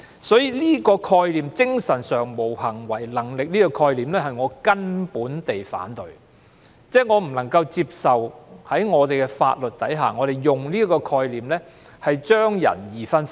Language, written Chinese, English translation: Cantonese, 所以，我徹底反對這個"精神上無行為能力"的概念，我不能接受法律上把人分為兩種的做法。, Therefore I absolutely oppose the mentally incapacitated concept and I cannot accept the approach of dividing all persons into two types under the law